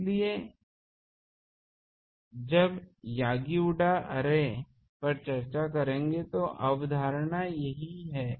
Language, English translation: Hindi, So, when will discuss the Yagi Uda array, the concept is this